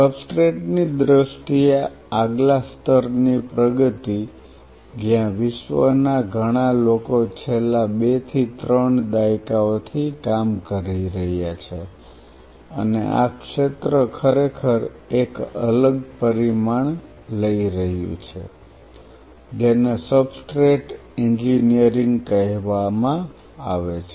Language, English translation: Gujarati, In terms of the substrate the next level of advancement where several people in the world are working for last 2 to 3 decades and the field is really taking a different dimension is called substrate engineering